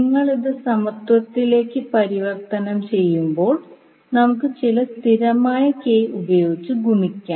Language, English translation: Malayalam, So when you converted into equality, let us multiply with some constant k